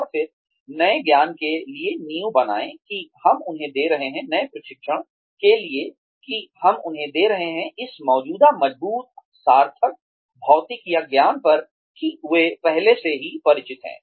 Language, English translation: Hindi, And then, build the foundation for the new knowledge, that we are giving them, for the new training, that we are giving them, on this existing, strong, meaningful, material or knowledge, that they already are, familiar with